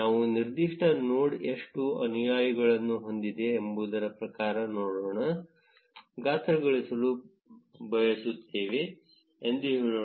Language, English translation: Kannada, Let us say we want to size the nodes according to how many followers that specific node has